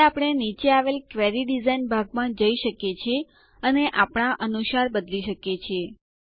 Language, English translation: Gujarati, Now we can go to the query design area below and change it any way we want